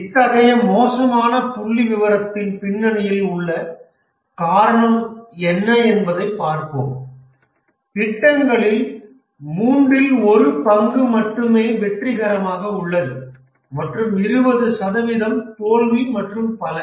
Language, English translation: Tamil, Let's see what is the reason behind such a dismal figure that only one third of the projects is successful and 20% are failure and so on